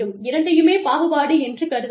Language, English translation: Tamil, Both, can be considered as, discrimination